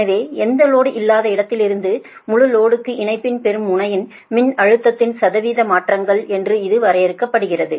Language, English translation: Tamil, so it is defined as the percentage changes voltage at the receiving end of the line in going from no load to full load